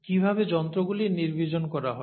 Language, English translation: Bengali, How are instruments sterilized